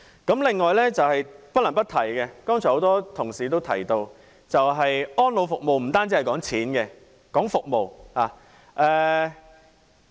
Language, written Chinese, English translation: Cantonese, 此外，不能不提剛才已有很多同事提及的：安老服務不單談金額，也談服務。, In addition I feel compelled to raise another issue which have also been mentioned by some Members earlier on . Elderly care is not just about money but also about services